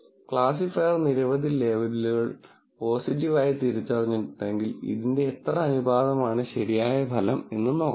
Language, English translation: Malayalam, If the classifier identified several labels are as positive, what proportion of this is actually a correct result is what is